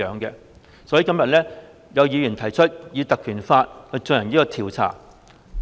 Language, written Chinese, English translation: Cantonese, 因此，今天有議員提出引用《條例》，以進行調查。, For this reason today some Members have proposed invoking PP Ordinance to conduct an inquiry